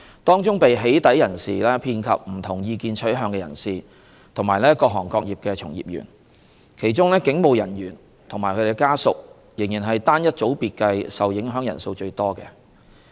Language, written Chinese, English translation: Cantonese, 當中被"起底"人士遍及不同意見取向的人士和各行各業的從業員，其中警務人員及其家屬仍是單一組別計受影響人數最多的。, The victims of doxxing are from all sorts of backgrounds and all walks of life with various views among which police officers and their family members are the single largest sector of people falling victim to doxxing